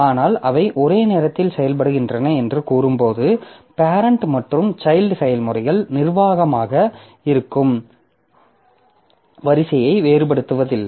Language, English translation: Tamil, But when we say that they are executing concurrently means we do not distinguish between the order in which the parent and child processes are executed